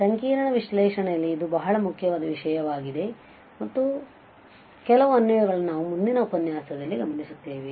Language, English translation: Kannada, It is a very important topic in, in complex analysis and some of the applications we will observe in the next lecture